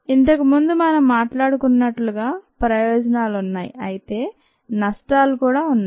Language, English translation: Telugu, there are advantages, as we talked about earlier, but there are disadvantages too